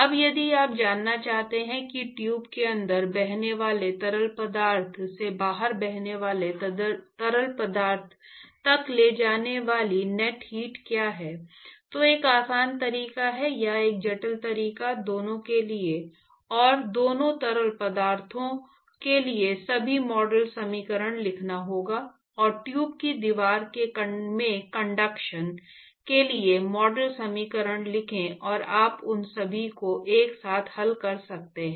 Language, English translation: Hindi, Now if you want to know what is the net heat that is transported, from the fluid which is flowing inside the tube to the fluid which is flowing outside, one simple way or one complicated way rather would be to write all the model equations for both compartments both fluids, and write model equations for the tube wall, conduction into tube wall, etcetera and you can solve all of them simultaneously, which is a very boring thing to do